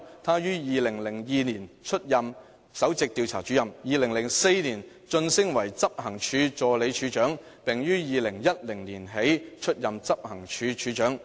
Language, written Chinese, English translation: Cantonese, 她於2002年出任首席調查主任 ，2004 年晉升為執行處助理處長，並於2010年起出任執行處處長。, She was promoted through the ranks to Principal Investigator in 2002 Assistant Director of Operations in 2004 and Director of Investigation in 2010